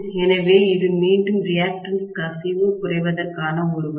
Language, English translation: Tamil, So, this is one of the ways of decreasing again leakage reactance